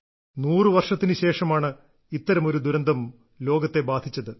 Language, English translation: Malayalam, This type of disaster has hit the world in a hundred years